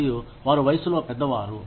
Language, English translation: Telugu, And, they are older in age